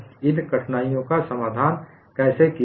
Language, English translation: Hindi, How these difficulties were addressed